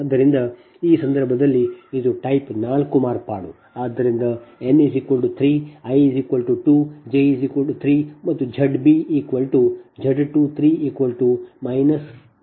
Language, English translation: Kannada, so in that case it is a type four modification